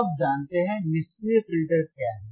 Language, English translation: Hindi, Now you know, what are passive filters